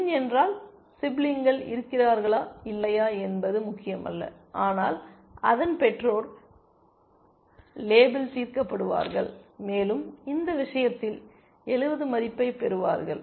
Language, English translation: Tamil, If min node, it does not matter whether there are siblings or not, but its parent will get label solved, and it will get a value of 70 in this case